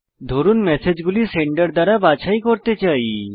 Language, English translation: Bengali, Lets say we want to sort these messages by Sender